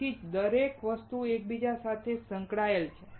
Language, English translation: Gujarati, That is why everything is interrelated